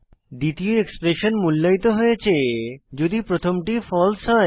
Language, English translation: Bengali, Second expression is evaluated only if first is false